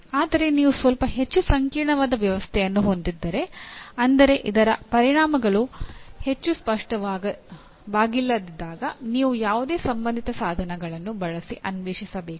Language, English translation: Kannada, But if you have a little more complex system that is when the implications are not very obvious you have to explore using whatever relevant tools